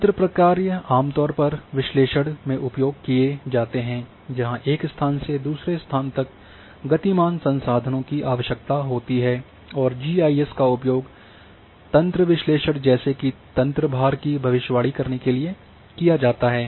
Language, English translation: Hindi, The network functions are commonly used in analysis that requires moving resources from one location to another and GIS is used to perform network analysis such as prediction of network loading